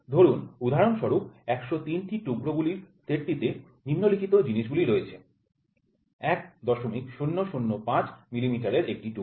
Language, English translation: Bengali, So, for instance the set of 103 pieces consist of the following: One piece of 1